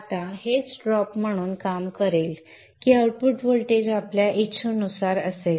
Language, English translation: Marathi, Now this is what will act as the drop such that the output voltage is according to our wishes